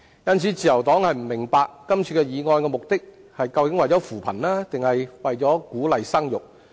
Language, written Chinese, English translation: Cantonese, 因此，自由黨不明白今次議案的目的究竟是為了扶貧還是為了鼓勵生育。, Hence the Liberal Party wonders whether the motion this time around seeks to alleviate poverty or boost the fertility rate